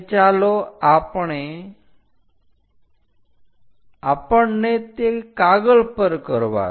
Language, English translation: Gujarati, Let us do it on the sheet